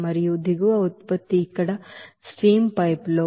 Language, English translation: Telugu, And bottom product we can say that in the stream pipe here, temperature will be 98